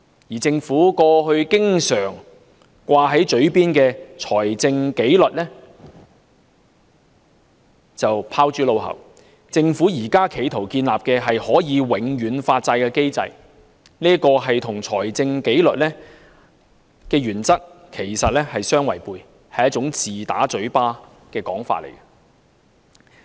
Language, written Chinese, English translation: Cantonese, 而政府過去經常掛在嘴邊的"財政紀律"則拋諸腦後，政府現正試圖建立可以永遠發債的機制，這與財政紀律的原則相違背，是自打嘴巴的說法。, The Government now attempts to establish a mechanism that allows perpetual bond issuance running counter to the principle of fiscal discipline which is a slap in its own face